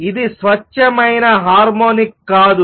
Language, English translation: Telugu, It is not a pure harmonic